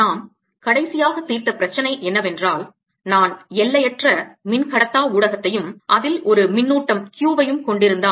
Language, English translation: Tamil, the last problem that we solved was if i have an infinite dielectric medium and a charge q in it